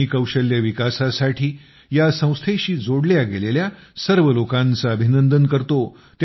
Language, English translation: Marathi, I congratulate and appreciate all the people associated with this organization for skill development